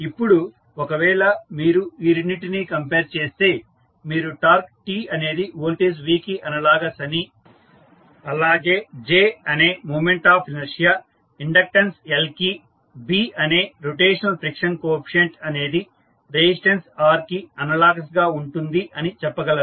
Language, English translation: Telugu, Now, if you compare both of them, what you can say, that torque T is analogous to voltage V, moment of inertia that is J is analogous to inductance L, rotational friction coefficient that is B is nothing but analogous to resistance R